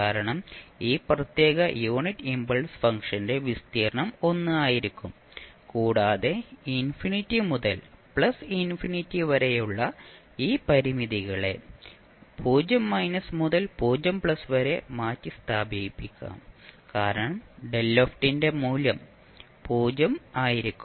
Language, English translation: Malayalam, Because the area for this particular unit step function would be 1 and this infinity to plus infinity can be replaced by the limits as 0 minus to 0 plus because the rest of the reason the value of delta t would be 0